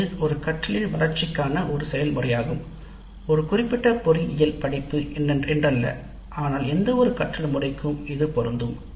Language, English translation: Tamil, This is a process for development of a learning product, not necessarily a specific engineering course but any learning product